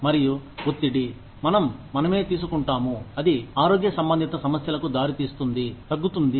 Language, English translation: Telugu, And, the stress, we take on ourselves, that can result in health related issues, comes down